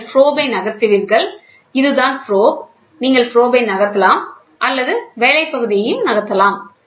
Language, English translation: Tamil, Either you move the probe, this is the probe, either you move the probe or you move the work piece